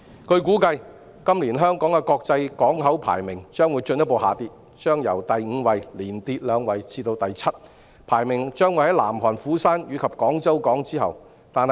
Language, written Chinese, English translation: Cantonese, 據估計，今年香港的國際港口排名將進一步下跌，由第五位連跌兩位至第七位，排名在南韓釜山和廣州港之後。, It is estimated that the international port ranking of Hong Kong will drop further by two places this year from the fifth to the seventh place behind Busan South Korea and Guangzhou port . The maritime sector has a close relationship with the freight industry